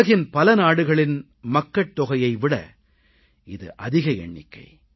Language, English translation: Tamil, This number is larger than the population of many countries of the world